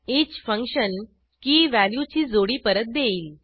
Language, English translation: Marathi, each function returns the key/value pair